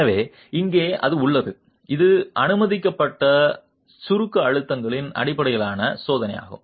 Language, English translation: Tamil, So, there it is, it is the check based on the permissible compressive stresses